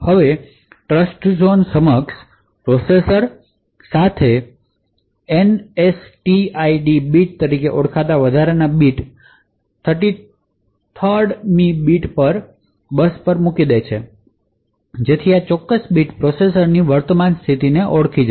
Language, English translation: Gujarati, Now with Trustzone enabled processors an additional bit known as the NSTID bit the, 33rd bit put the also put out on the bus so this particular bit would identify the current state of the processor